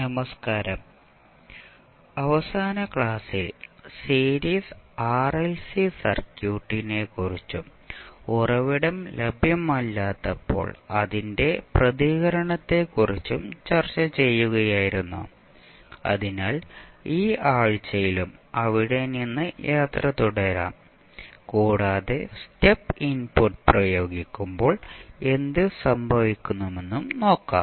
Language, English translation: Malayalam, Namaskar, so in the last class we were discussing about the series RLC circuit and its response when the source is not available, so, we will continue our journey from there in this week also and let us see when you apply step input then what will happen